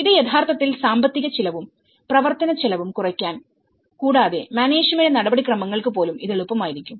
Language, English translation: Malayalam, This will actually reduce lot of financial cost, operational cost and even it will be easy for the management procedures